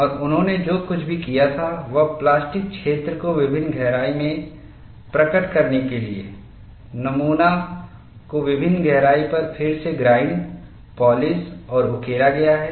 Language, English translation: Hindi, And what they had done was to reveal plastic zone at various depths, the specimen is reground to various depths, polished and re etched